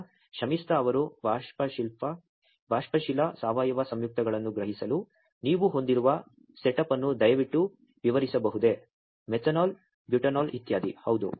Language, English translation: Kannada, So, Shamistha could you please explain the setup that you have for sensing volatile organic compounds like; methanol, butanol etcetera